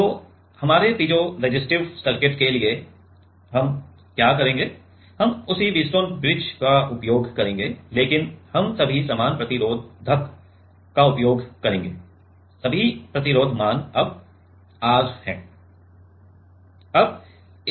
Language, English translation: Hindi, So, for our piezoresistive circuit what we will do, we will use the same Wheatstone bridge we will use the same Wheatstone bridge, but we will use all the same resistors; all the resistance values are R now